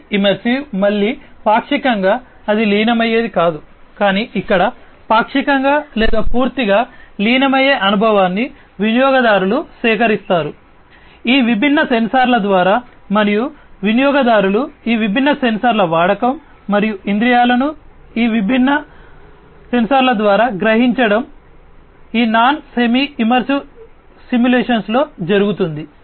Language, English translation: Telugu, Semi immersive again partly you know it is not like the non immersive, but here partly partially or fully immersive experience is gathered by the users, through these different sensors and the users use of these different sensors and the senses sensing up through these different sensors, this is what is done in this non semi immersive simulations